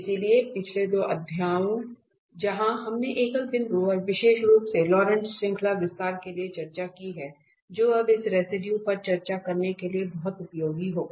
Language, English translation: Hindi, So, the previous two chapters where we have discussed the singular points and also the expansion particular the Laurent series expansion that will be very useful to discuss this residue now